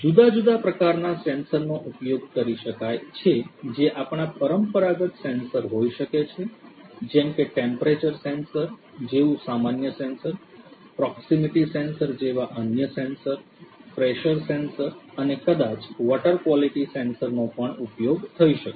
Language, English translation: Gujarati, The different sensors that could be used could be your traditional ones, the common ones like your temperature sensor, different other sensors like proximity sensor, pressure sensor maybe water quality sensor, water quality sensor